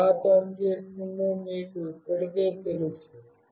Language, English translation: Telugu, You already know how it works